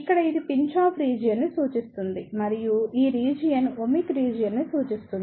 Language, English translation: Telugu, Here, this represents the Pinch off region and this region represent the Ohmic region